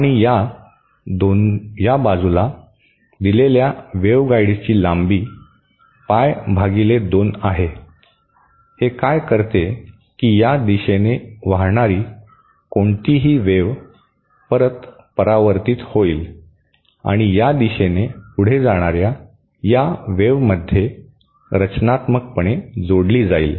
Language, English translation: Marathi, And on this side, there is a pie by 2 length of the waveguide given, what it does is that any wave that flows along this direction will be reflected back and added constructively to this wave that is proceeding along this direction